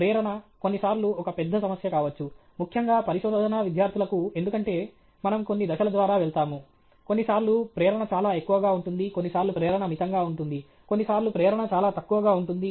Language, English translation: Telugu, Motivation, sometimes, can be a big problem, particularly for research students, because we go through phases where sometimes the motivation is very high, sometimes the motivation is moderate, sometimes the motivation is very low okay